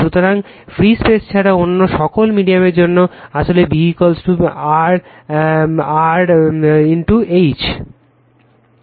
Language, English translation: Bengali, So, for all media other than free space, actually B is equal to mu 0 mu r into H right